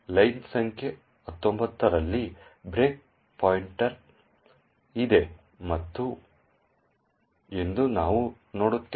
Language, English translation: Kannada, What we see is that there is the breakpoint at line number 19